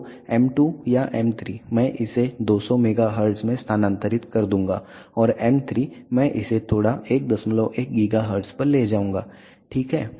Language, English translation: Hindi, So, m 2 or m 3 I will move it to 200 megahertz, and m 3 I will slightly move it to 1